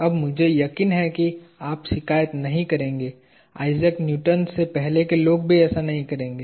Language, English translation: Hindi, Now, this I am sure you would not complain; neither would the people before Isaac Newton